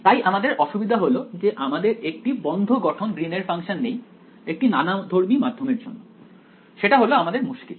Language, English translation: Bengali, So, our difficulty is we do not know in closed form Green’s function for a heterogeneous medium that is our problem